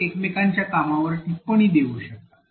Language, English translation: Marathi, They can comment on each other’s work